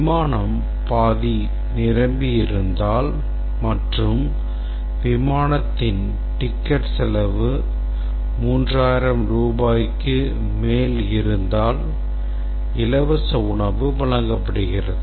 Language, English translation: Tamil, If the flight is more than half full and the ticket cost on the flight is more than 3,000 rupees, then free meals are served